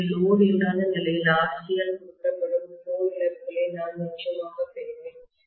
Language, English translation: Tamil, So, under no load condition itself I will have definitely core losses that is represented by RC